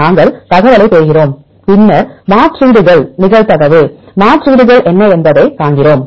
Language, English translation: Tamil, We get the information and then we see the substitutions what are substitutions probability substitutions